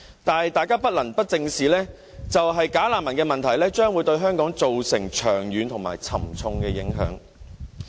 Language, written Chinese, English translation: Cantonese, 但是，大家不能不正視的一點，便是"假難民"的問題將會對香港造成長遠和沉重的影響。, However we must not ignore the point that the problem of bogus refugees will produce a far - reaching and heavy impact on Hong Kong